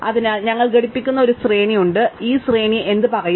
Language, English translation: Malayalam, So, we have an array which we will call component and what will this array say